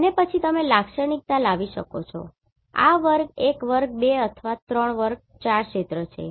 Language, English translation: Gujarati, And then you can characterize this is the class one class two or class three class four areas right